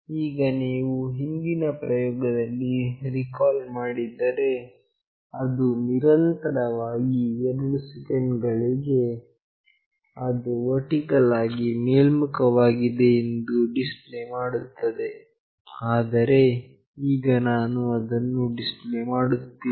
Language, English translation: Kannada, Now, if you recall in the previous experiment, it was continuously displaying that it is vertically up in 2 seconds, but now I am not displaying that